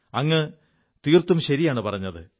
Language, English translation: Malayalam, You are absolutely right